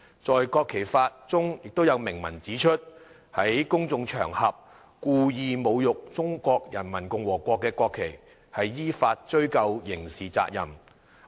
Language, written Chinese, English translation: Cantonese, 在《國旗法》中有明文指出："在公眾場合故意......侮辱中華人民共和國國旗的，依法追究刑事責任"。, It is stated clearly in the Law of the Peoples Republic of China on the National Flag that Whoever desecrates the National Flag of the Peoples Republic of China by publicly and willfully shall be investigated for criminal responsibilities according to law